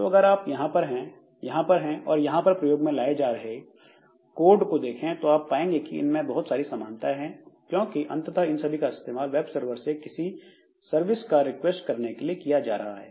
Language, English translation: Hindi, So, if you look into the code that you have here and the code that you have here and the code that you have here, so there are lots of similarities between them because ultimately what they are doing is requesting for some service from the web server